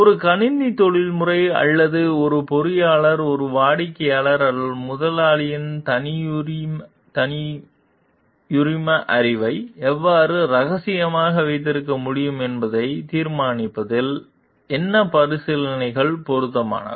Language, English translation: Tamil, What considerations are relevant in deciding how a computer professional, or an engineer can best keep confidential the proprietary knowledge of a client or employer